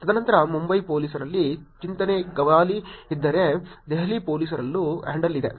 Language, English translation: Kannada, And then there is Chetan Gavali at Mumbai Police, Delhi Police too there is a handle